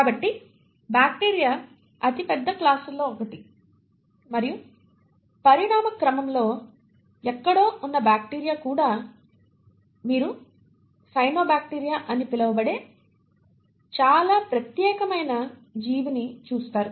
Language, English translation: Telugu, So bacteria is one of the largest classes and even within the bacteria somewhere across the course of evolution you come across a very unique organism which is called as the cyanobacteria